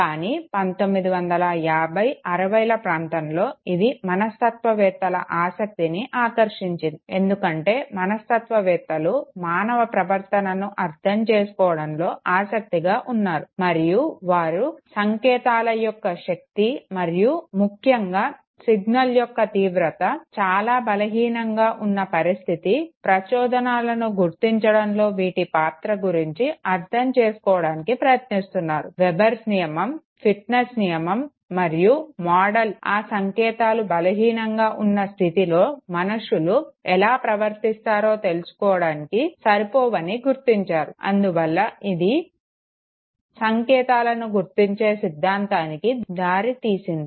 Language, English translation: Telugu, But in 1950’s, 60’s you know it drag the attention of psychologists because psychologists were interested in understating human behavior and they tried to understand the strength of the signal and its role in detection of this stimuli you, especially in conditions where the intensity of the signal is very weak okay, what was realized that Weber’s Law, fitness law, these laws were not sufficient enough to explain How human beings respond in situations when the signals are weak okay, and this led to what is called as theory of signal detection